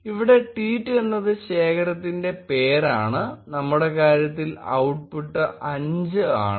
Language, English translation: Malayalam, Here tweet is the name of the collection and the output in our case is 5